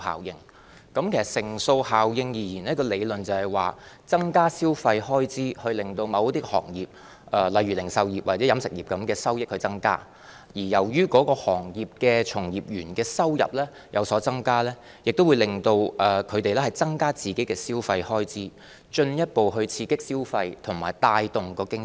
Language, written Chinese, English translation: Cantonese, 其實，乘數效應的理論是，增加消費開支，令某些行業例如零售業或飲食業的收益增加；由於行業的從業員收入有所增加，也會增加他們本身的消費開支，進一步刺激消費和帶動經濟。, In fact the theory of multiplier effect is that an increase in the consumption expenditure will lead to an increase in the income of certain industries like retail or catering . Since the employees in those industries have more income they will spend more and this will further stimulate consumption and promote economic development